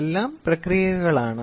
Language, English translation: Malayalam, So, all are processed